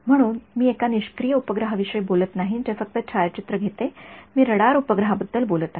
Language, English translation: Marathi, So, I am not talking about a passive satellite which just takes photographs, I am talking about a radar satellite